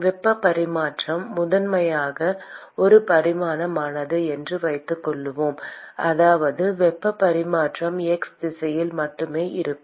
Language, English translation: Tamil, And let us assume that the heat transfer is primarily one dimensional, which means that the heat transfer is only in the x direction